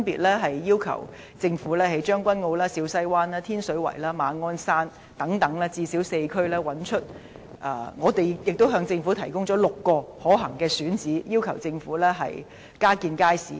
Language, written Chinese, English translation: Cantonese, 我們要求政府分別在將軍澳、小西灣、天水圍和馬鞍山等最少4區加建街市，亦向政府提供了6個可行的選址，要求政府加建街市。, We have requested the Government to construct new markets in at least four districts namely Tseung Kwan O Siu Sai Wan Tin Sui Wai and Ma On Shan . We have also proposed six feasible sites to the Government and requested the Government to construct new markets there